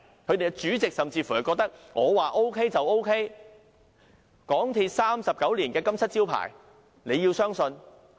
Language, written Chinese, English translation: Cantonese, 其主席甚至說，"我告訴 OK 就 OK， 港鐵公司39年的金漆招牌，你要相信"。, The Chairman of MTRCL even said if I tell you it is OK then it is OK You must trust MTRCLs untarnished reputation of 39 years